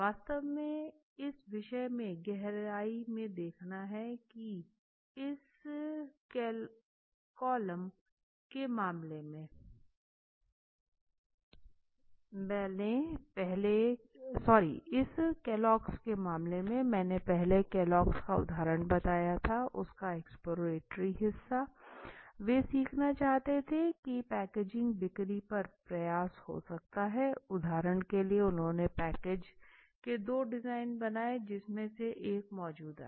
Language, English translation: Hindi, They are not visible to it you have to really look deep in to the subject this is the case of Kellogg’s earlier I told the example of Kellogg’s exploratory part they want to learn if packaging, packaging can have a effort if packaging can have a effort on the sales for example right so they what they did was to learn this they made two designs of packages one which was the existing one